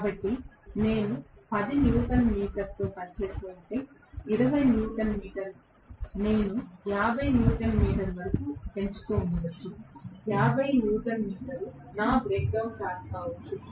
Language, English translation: Telugu, So, let us say I was working with may be 10 newton meter, 20 newton meter I kept on increasing may be it came up to 50 newton meter, may be 50 newton meter happens to be my brake down torque